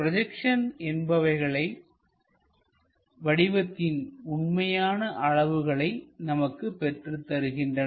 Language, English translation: Tamil, Because projections are the ones which gives us true dimensions of that object